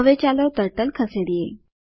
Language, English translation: Gujarati, Lets now move the Turtle